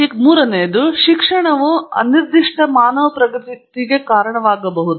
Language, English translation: Kannada, Then the third is that education can lead to indefinite human progress